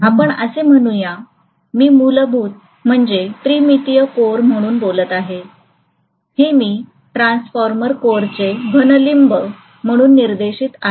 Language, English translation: Marathi, So let us say this is basically what I am talking about as a three dimensional core I am showing it as a solid limb of a transformer core